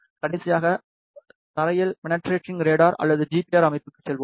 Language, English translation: Tamil, Lastly, we will move to the ground penetrating radar or GPR system